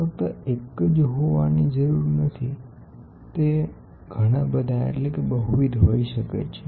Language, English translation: Gujarati, It need not be only one, it can be multiple, it can be multiple